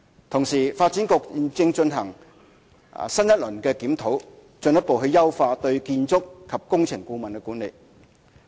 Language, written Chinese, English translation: Cantonese, 同時，發展局現正進行新一輪的檢討，進一步優化對建築及工程顧問的管理。, At the same time Development Bureau is conducting another round of review to further enhance the management of architectural and engineering consultants